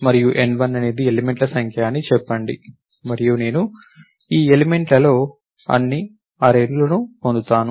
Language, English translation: Telugu, And let us say n1 is the number of elements and I got all these elements let us say in some array